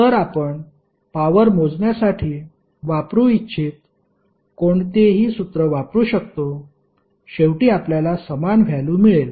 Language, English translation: Marathi, So, you can use any formula which you want to use for calculation of power, you will get the same value eventually